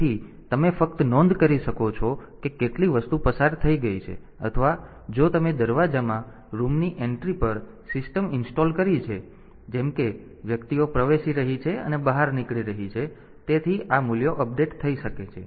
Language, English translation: Gujarati, So, you can just you can note how many items has passed, or if you have installed a system at the entry of a room in the door like as persons are entering and exiting; so, this values may be updated